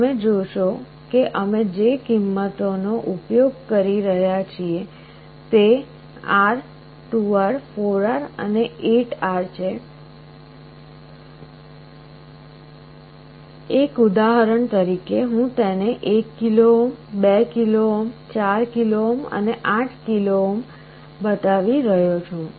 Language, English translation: Gujarati, You see the values we are using are R, 2R, 4R and 8R just as an example I am showing it to be 1 kilo ohm, 2 kilo ohm, 4 kilo ohm and 8 kilo ohm